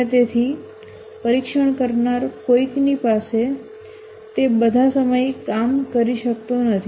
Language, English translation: Gujarati, And therefore, somebody who is a tester, he may not have work all the time